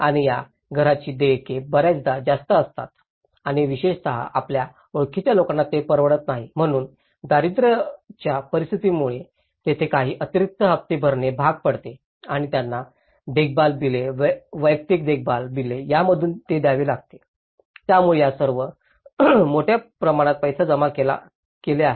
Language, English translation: Marathi, And the payments for these houses often they are too high and especially, for the people you know, they are not able to afford, so that is where it was since the conditions of the poverty because they have to end up paying some extra instalments and they also have to pay it from maintenance bills, individual maintenance bills so, they all add up to a big sum of money